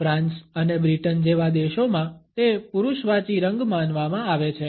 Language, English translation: Gujarati, In countries like France and Britain, it is perceived to be a masculine color